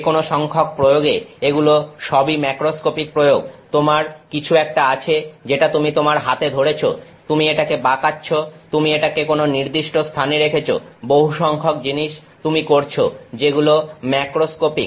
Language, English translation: Bengali, Any number of applications they are all macroscopic applications, you have something that you got your holding in your hand, you are bending it, you are putting it on some location, lot of things you are doing which is macroscopic